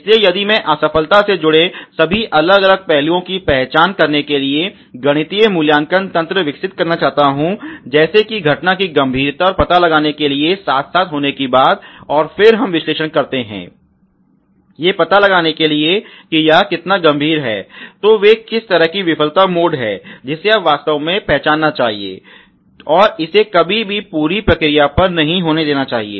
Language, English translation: Hindi, So if I want to develop mathematical ratting system to identify all this different aspect associated with the failure like lets say the occurrence the severity and detection together, and then we analyze how sever how frequent how difficult to the detect, then those are the kind of failure mode which you really should identify, and never let it happen on the a whole process processes assembly